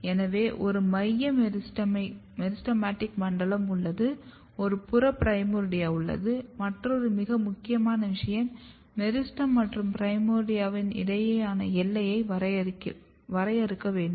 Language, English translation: Tamil, So, you have a central meristematic zone and you have a peripheral primordia and the another very important thing is the border or the boundary between meristem and primordia this has to be defined